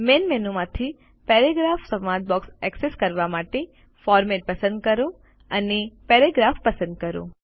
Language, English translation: Gujarati, To access the Paragraph dialog box from the Main menu, select Format and select Paragraph